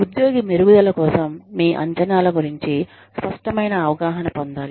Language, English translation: Telugu, The employee should gain a clear idea, of your expectations, for improvement